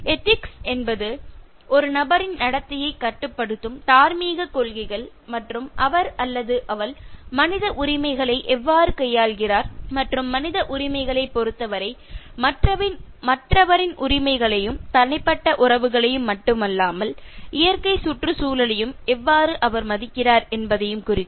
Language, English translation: Tamil, Ethics are moral principles that govern a person’s behaviour and the way he or she treats human rights how the person respects the rights of the other one, not only with regard to human rights not only with regard to individual relationships but also how the person respects the natural environment